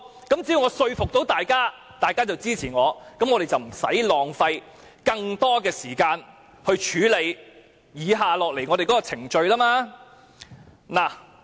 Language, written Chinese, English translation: Cantonese, 只要我可以說服大家，大家便會支持我，那麼本會便不用浪費更多的時間來處理接下來的程序。, Only if I can persuade Members to support me this Council will not have to spend additional time to proceed with the subsequent procedures